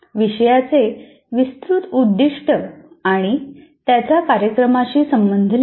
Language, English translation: Marathi, Then one should write the broad aim of the course and its relevance to the program